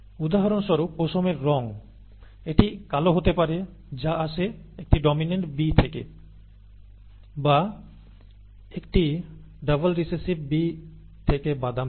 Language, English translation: Bengali, Example is the colour of fur it could either be black which arises from a dominant B, capital B or brown from a double recessive small B